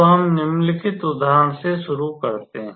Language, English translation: Hindi, So, let us start with the following example